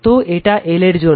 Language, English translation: Bengali, So, this isfor L